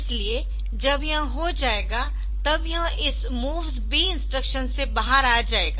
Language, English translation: Hindi, So, when it is done then it will come out of this MOVSB instruction